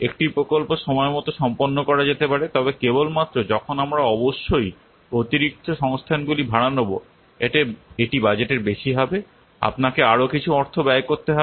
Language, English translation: Bengali, A project can be completed on time but only when you will hire additional resources, of course this will be over budget